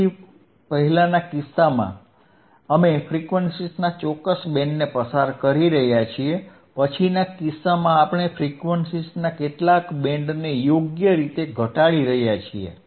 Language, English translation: Gujarati, So, in thisformer case, we are passing certain band of frequencies, in thislatter case we are attenuating some band of frequencies right